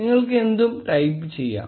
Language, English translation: Malayalam, You can type anything